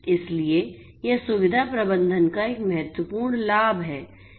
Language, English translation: Hindi, So, this is an important benefit of facility management